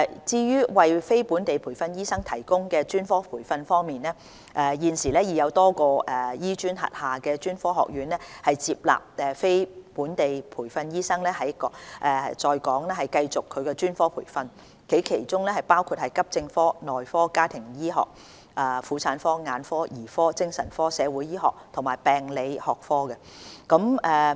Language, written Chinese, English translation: Cantonese, 至於為非本地培訓醫生提供專科培訓方面，現時已有多個醫專轄下的專科學院接納非本地培訓醫生在港繼續其專科培訓，其中包括急症科、內科、家庭醫學、婦產科、眼科、兒科、精神科、社會醫學及病理學科。, As regards the provision of specialist training for non - locally trained doctors a number of colleges under HKAM including accident and emergency medicine family medicine obstetrics and gynaecology ophthalmology paediatrics psychiatry community medicine and pathology have admitted these doctors to continue their specialist training in Hong Kong